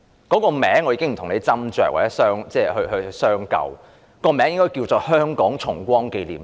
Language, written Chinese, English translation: Cantonese, 假日名稱我不跟建制派議員斟酌或商究，但其實這天應該稱作香港重光紀念日。, Although I do not intend to argue with pro - establishment Members over the proper name of the proposed holiday I actually think that this holiday should be known as the Liberation Day of Hong Kong